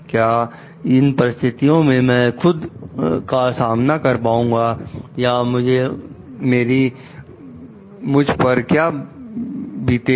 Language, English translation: Hindi, Will I be able to face myself in this situation or what is my conscience going to tell about it